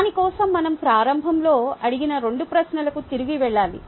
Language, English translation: Telugu, for that we need to go back to that two questions we asked in the beginning